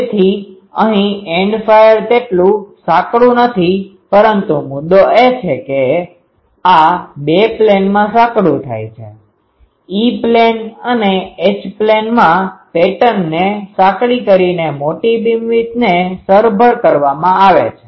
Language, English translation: Gujarati, So, here the End fire it is not as narrow, but the point is this narrowing occurs in two planes; the grater beamwidth compensated by an narrowing of the pattern in both E plane and H plane